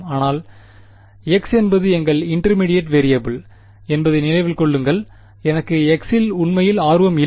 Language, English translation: Tamil, But remember x is our intermediate variable I am not really interested in x